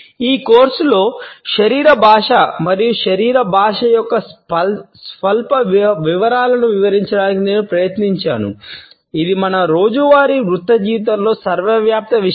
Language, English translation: Telugu, During this course, I have attempted to delineate the nuance details of body language and body language is an omnipresent phenomenon of our daily professional life